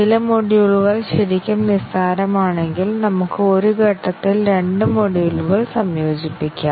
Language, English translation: Malayalam, And if some of the modules are really trivial then we might even integrate two modules in one step